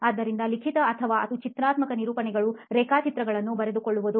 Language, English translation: Kannada, So noting down either written content or graphical representations, representations like diagrams